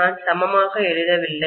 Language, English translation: Tamil, I am not writing equal